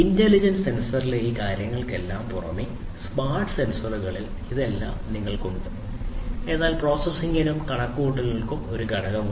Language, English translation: Malayalam, So, in addition to all of these things in the intelligent sensor on the other hand, you have mostly whatever is present in the smart sensors, but also a component for processing and computation